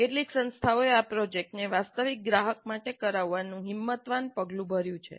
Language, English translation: Gujarati, And in some institutes, they have taken the bold step of having this project done for a real client